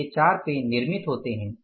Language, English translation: Hindi, So, these four pens are manufactured